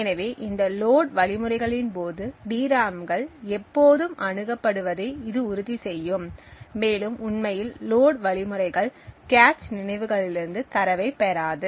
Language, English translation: Tamil, So this would ensure that the DRAMs are always accessed during these load instructions and the load does not actually obtain the data from the cache memories